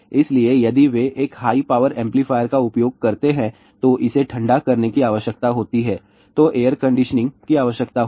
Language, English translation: Hindi, So, if they use a high power amplifier, it requires cooling that will require air conditioning